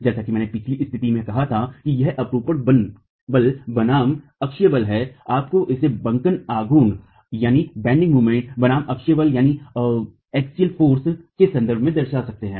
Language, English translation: Hindi, As I said in the previous case, though it is shear force versus axial force, you can represent it in terms of bending moment versus axial force